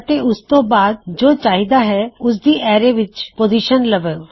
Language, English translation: Punjabi, And then the position of what you want inside the array